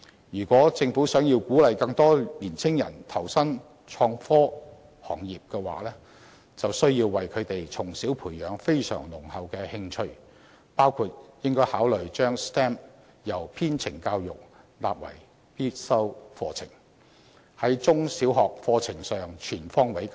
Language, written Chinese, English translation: Cantonese, 如果政府想鼓勵更多年青人投身創科行業，就必須為他們從小培養非常濃厚的興趣，包括應考慮把 STEM 相關的編程教育納為必修課程，在中小學課程上全方面加強。, If the Government wants to encourage more young people to join the innovation and technology industry it must nurture an intense interest in them early on . It should consider for instance making STEM - related coding education a compulsory part of the curriculum and enhance it comprehensively throughout our primary and secondary school curricula